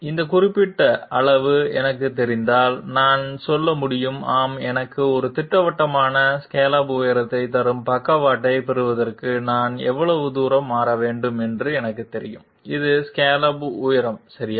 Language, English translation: Tamil, If I know this particular magnitude, I can say that yes I know how much distance I have to shift in order to get the sidestep which will give me a definite scallop height, this is the scallop height okay